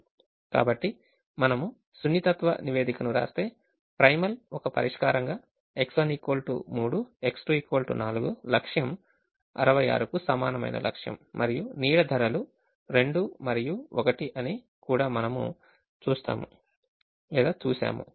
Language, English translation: Telugu, so if we write the sensitivity report, the primal as a solution, x, one equal to three, x two equal to four, with objective equal to sixty six, and we also see that the shadow prices are two and one, you'll realize shadow prices are two and one